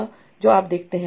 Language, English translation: Hindi, So that's what you see